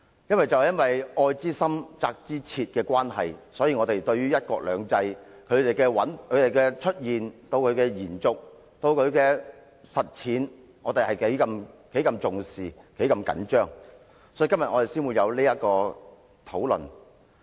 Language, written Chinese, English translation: Cantonese, 基於愛之深、責之切的關係，我們對於"一國兩制"的出現、延續、實踐相當重視，因此我們今天才會有這項議案辯論。, As the saying goes love well whip well we attach great importance to the emergence continuation and development of one country two systems and that is why we have this motion debate